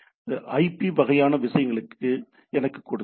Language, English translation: Tamil, So, give me the IP sort of things